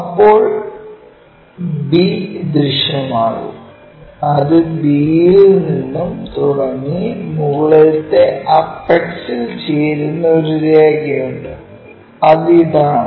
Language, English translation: Malayalam, If we do that b will be visible it goes and from b there is a line which goes and joins the top apex that one will be this one